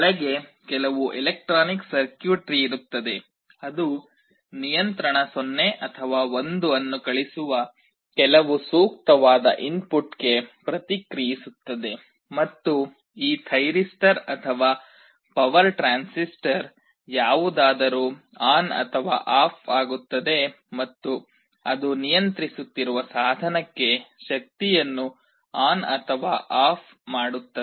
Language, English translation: Kannada, Inside there will be some electronic circuitry, which will be responding to some appropriate input that will be sending a control 0 or 1, and this thyristor or power transistor whatever is there will be switched on or off, and that will be turning the power on or off to the device that is being controlled